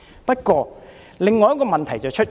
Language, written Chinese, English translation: Cantonese, 不過，有另一個問題出現。, However another problem has arisen